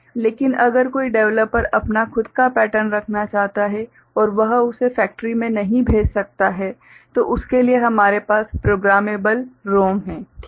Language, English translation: Hindi, But, if a developer wants to put his own pattern he cannot send it to the factory or so for which we have what is called Programmable ROM ok